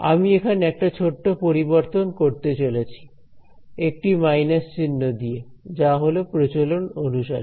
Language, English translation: Bengali, I am going to change that just a little bit by a minus sign that is just the convention